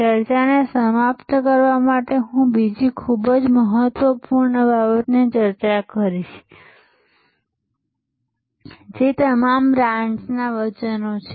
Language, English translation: Gujarati, To conclude the discussion I will discuss another very important thing, that all brands are promises